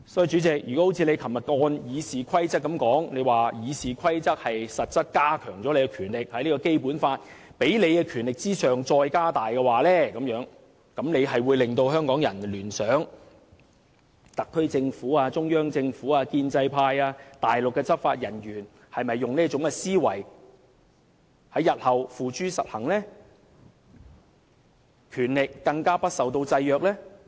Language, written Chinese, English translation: Cantonese, 主席，若按照你昨天所說，《議事規則》實質是加強了你的權力，是在《基本法》給予你的權力之上再加大，這便會令香港人聯想到特區政府、中央政府、建制派和內地執法人員會否也使用這種思維，並在日後付諸實行，使其權力更加不受制約呢？, Chairman you said yesterday that RoP in effect reinforced your power further strengthening the power conferred on you by the Basic Law . What you have said will make Hong Kong people wonder if the SAR Government the Central Government the pro - establishment camp and the Mainland enforcement officers all share this mindset and whether they will put this thought into action one day and exercise their unlimited powers